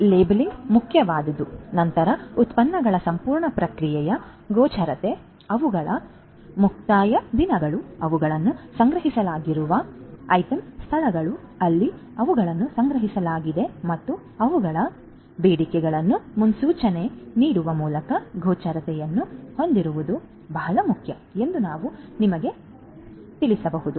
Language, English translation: Kannada, So, labeling is important then we can have you know it is very important to have visibility through the entire process visibility of the products, they are expiration dates, the item locations where they are stored, where they are stocked forecasting their demands etcetera, so visibility